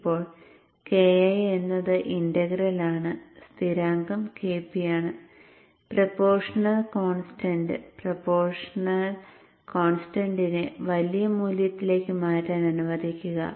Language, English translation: Malayalam, Now KI is the integral constant KP is the proportional constant and let me change the proportional constant to a larger value so that the dynamics is improved